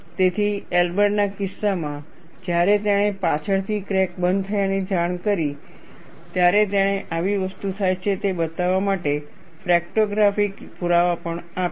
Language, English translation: Gujarati, So, in the case of Elber, when he reported the crack closure, later he also provided fracto graphic evidence to show, such thing happens